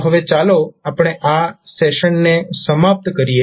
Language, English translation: Gujarati, So now let us close our session at this point of time